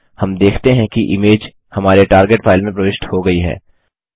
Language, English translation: Hindi, We see that the image is inserted into our target file